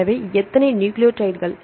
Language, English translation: Tamil, So, how many nucleotides